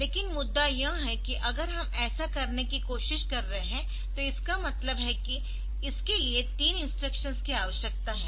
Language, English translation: Hindi, But the point is if we are trying to do this that means, it requires three instructions ok